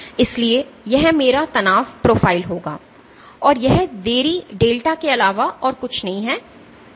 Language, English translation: Hindi, So, so this would be my stress profile, and this delay this delay is nothing but delta